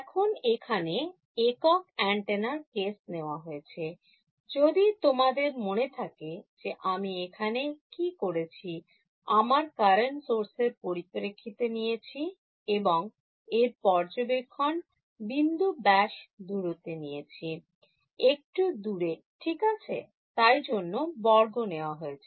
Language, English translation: Bengali, Now, in the single antenna case over here, if you remember what I done was that my current source was along the z axis and I has taken the observation point to be this radius apart; a apart right, that is why this a squared was there